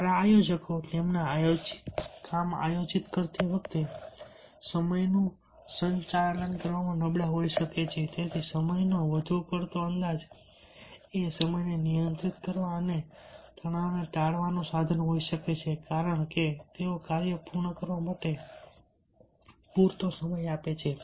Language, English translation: Gujarati, good planners can be poor at managing time while performing their planned work, so therefore, over estimating the time may be a means of controlling time and avoiding sprig stress, because they allow enough time for the task to be completed